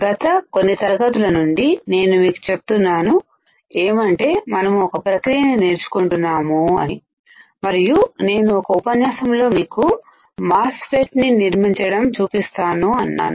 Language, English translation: Telugu, From last several classes, I was telling you that we are learning a process, and I will show you in one of the lectures how we can fabricate a MOSFET